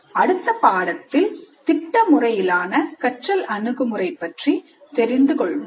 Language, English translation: Tamil, So in the next unit we look at project based approach to instruction